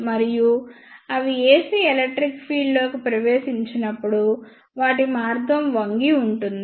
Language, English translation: Telugu, And as they enter into the ac electric field their path will be bent